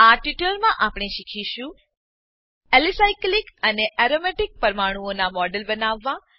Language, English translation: Gujarati, In this tutorial, we will learn to, Create models of Alicyclic and Aromatic molecules